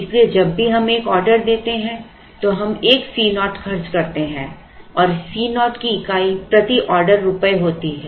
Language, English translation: Hindi, So, every time we place an order we incur a C naught and this C naught has a unit of rupees per order